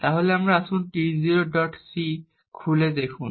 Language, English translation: Bengali, So let us open it out T0